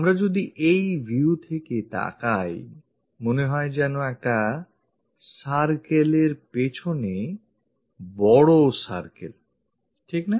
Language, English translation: Bengali, If we are looking from this view, it looks like a circle followed by another big circle